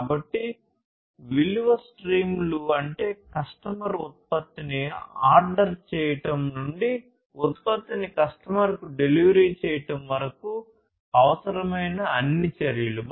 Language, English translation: Telugu, So, value streams are all the actions that are required for a product from order by the customer to the delivery of the product to the customer